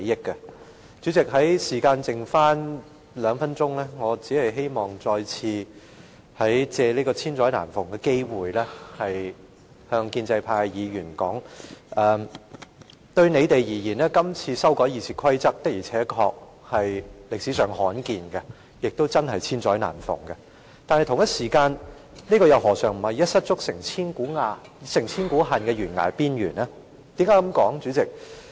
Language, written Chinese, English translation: Cantonese, 代理主席，我的發言時間只剩下兩分鐘，我只希望再次藉此千載難逢的機會向建制派的議員說，今次修改《議事規則》確實可謂歷史上罕見，也真的是千載難逢的機會，但他們又何嘗不是站在懸崖邊緣，可能造成一失足成千古恨的惡果。, Deputy President I have got only two minutes left to speak . I only wish to take this rare opportunity to tell Members of the pro - establishment camp that this is indeed a once - in - a - lifetime opportunity to amend RoP . However they too are standing at the edge of a precipice and possibly face the adverse consequences of taking a wrong step